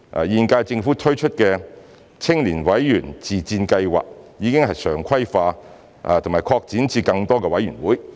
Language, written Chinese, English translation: Cantonese, 現屆政府推出的青年委員自薦計劃已常規化，並已擴展至更多委員會。, We have regularized the Member Self - recommendation Scheme for Youth MSSY launched by the current - term Government and expanded it to cover more boards and committees